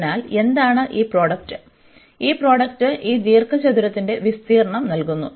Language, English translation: Malayalam, So, what is this product, this product will give the area of this rectangle here